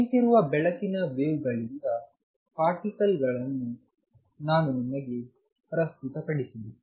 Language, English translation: Kannada, I also presented to you of particles from standing waves of light